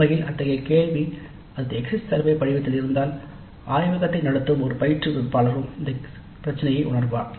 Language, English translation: Tamil, In fact such a question if it is there in the exit survey form an instructor conducting the laboratory would also be sensitized to this issue